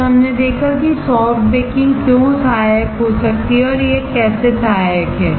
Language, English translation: Hindi, Then we have seen why soft baking can be helpful and how it is helpful